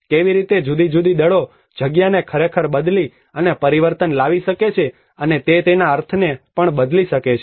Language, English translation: Gujarati, How different forces can actually alter and transform the space and it can also tend to shift its meanings